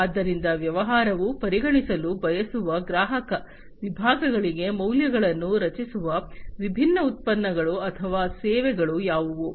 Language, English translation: Kannada, So, what are the different products or the services that will create the values for the customer segments that the business wants to consider